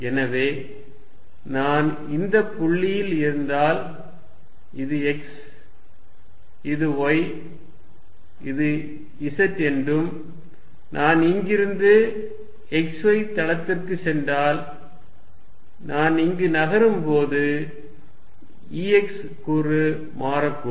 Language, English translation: Tamil, So, if I am at this point let us say this is x, this is y, this is z if I go from here in the x z plane, the E x component may changes as I move here